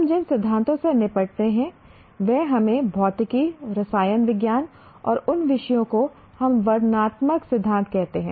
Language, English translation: Hindi, The theories that we deal, let us say in physics, chemistry or any one of those subjects, they are what we call descriptive theories